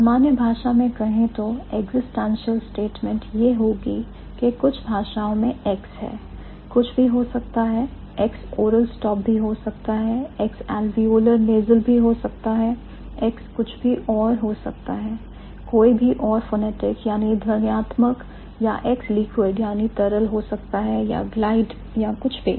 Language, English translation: Hindi, X could be bilibial stop, X could be oral stop, X could be let's say alveolar nasal, X could be any anything else, any other phonetic or X could be a liquid or glide or anything